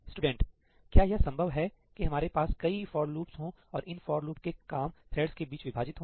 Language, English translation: Hindi, Is it possible that we have multiple for loops and we want the job of multiple for loops to be divided amongst the threads